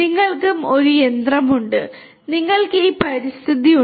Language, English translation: Malayalam, You have a machine and you have this environment